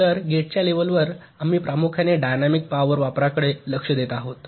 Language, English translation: Marathi, so, at the level of gates, we are mainly concentrating at the dynamic power consumption